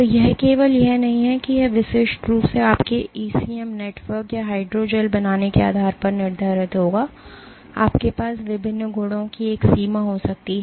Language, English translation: Hindi, So, it is not just that it is uniquely determined depending on how you make your ECM network or hydrogels, you can have a range of different properties